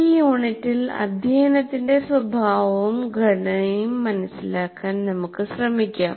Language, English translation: Malayalam, But in this unit, we try to understand the nature and constructs of instruction